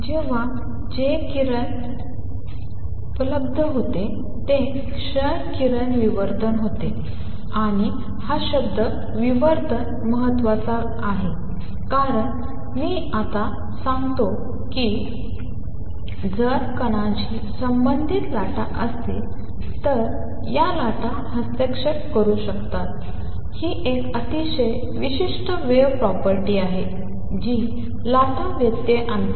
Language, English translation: Marathi, So, the experiments that were available that time was x ray diffraction, and this word diffraction is important because let me now say, if there are waves associated with a particle, these waves can interfere, that is a very specific wave property that waves interfere